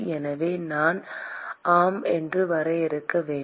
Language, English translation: Tamil, So, I have to define yeah